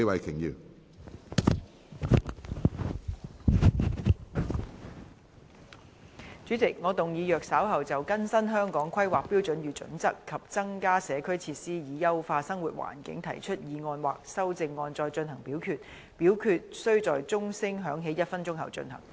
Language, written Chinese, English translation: Cantonese, 主席，我動議若稍後就"更新《香港規劃標準與準則》及增加社區設施以優化生活環境"所提出的議案或修正案再進行點名表決，表決須在鐘聲響起1分鐘後進行。, President I move that in the event of further divisions being claimed in respect of the motion on Updating the Hong Kong Planning Standards and Guidelines and increasing community facilities to enhance living environment or any amendments thereto this Council do proceed to each of such divisions immediately after the division bell has been rung for one minute